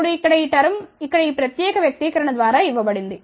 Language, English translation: Telugu, Now, this term here is given by this particular expression over here